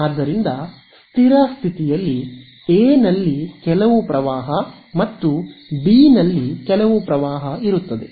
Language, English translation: Kannada, So, in the steady state there is going to be some current in A and some current in B right